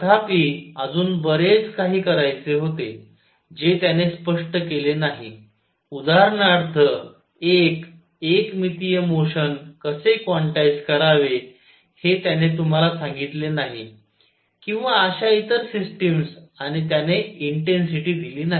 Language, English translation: Marathi, However, there was much more to be done did not explain, it did not tell you how to quantize one dimensional motion for example, or other systems and it did not give the intensity